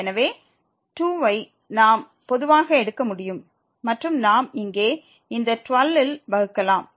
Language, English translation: Tamil, So, the 2 we can take common and we will divide to this 12 here